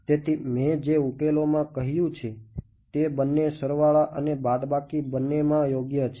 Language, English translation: Gujarati, So, the solutions I said I mentioned are both plus and minus right